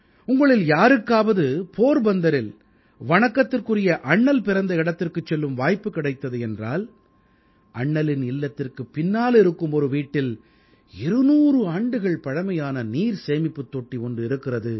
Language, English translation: Tamil, If any of you gets an opportunity to go to Porbandar, the place of birth of revered Bapu, then there is a house behind the house of revered Bapu, where a 200year old water tank still exists